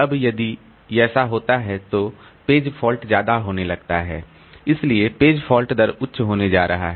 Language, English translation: Hindi, Now if this happens then the page fault is going to be high, page fault rate is going to be high